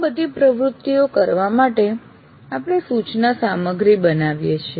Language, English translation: Gujarati, To conduct all those activities, we write the instruction material